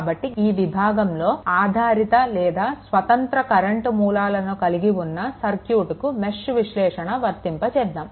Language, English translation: Telugu, So, in this section we will apply mesh analysis to circuit that contain dependent or independent current sources, right